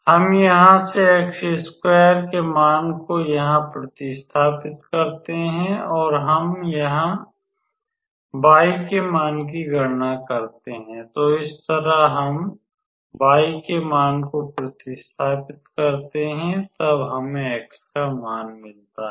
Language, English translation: Hindi, We substitute the value of x square from here to here and we calculate the value of y and similarly we substitute the value of y then we get the value of x